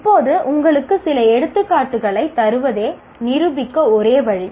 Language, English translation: Tamil, Now the only way to demonstrate is by giving you some examples